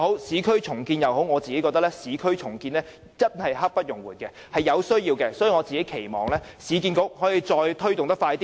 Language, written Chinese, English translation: Cantonese, 最後，我認為市區重建實在刻不容緩，是有必要的，所以我期望市建局可以加快推動措施。, Last of all in my opinion urban renewal is very essential and should brook no delay so I hope that URA will expeditiously implement the relevant measures